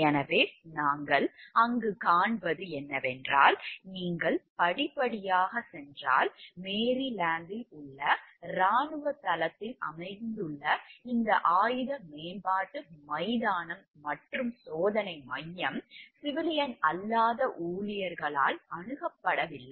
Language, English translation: Tamil, So, what we find over there is the if you go step by step like, we find over here that this weapon development ground and test center located on a military base in Maryland, it had no access by civilian non employees